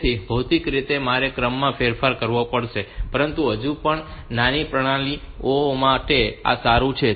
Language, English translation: Gujarati, So, physically I have to change the order, but still for the small system